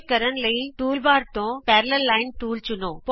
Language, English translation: Punjabi, To do this select the Parallel Line tool from the toolbar